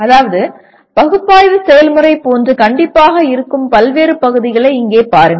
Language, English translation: Tamil, That means here look at the various parts which is strictly like analysis process